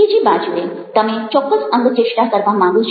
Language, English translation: Gujarati, on the other hand, you want to makes specific gestures